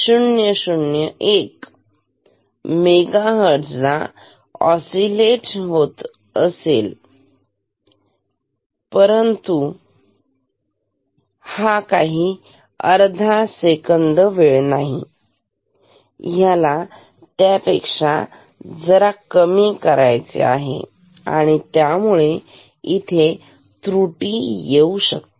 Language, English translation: Marathi, 000001 mega Hertz then this time will also not be half second it will be somewhat less than that